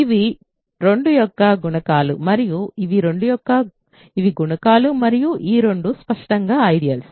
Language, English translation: Telugu, So, these are multiples of 2 and these are multiples of and both of these are clearly ideals ok